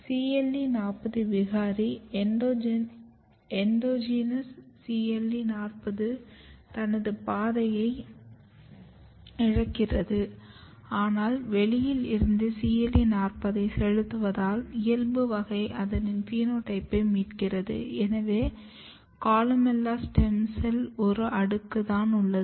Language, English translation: Tamil, But if you look here when the endogenous CLE40 pathway is lost because of the cle40 mutant, now you are supplementing CLE40 from outside it basically restores the phenotype to the wild type, here you can see only one layer of columella stem cells